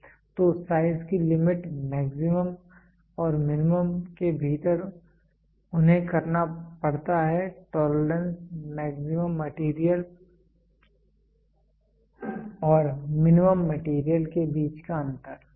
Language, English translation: Hindi, So, limit of size maximum and minimum within that they have to do tolerance is the difference between maximum material and minimum material